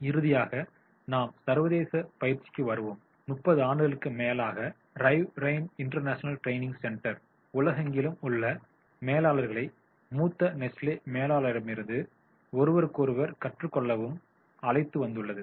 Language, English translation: Tamil, For over 30 years, the Rivrin International Training Center has brought together managers from around the world to learn from senior Nesley managers and from each other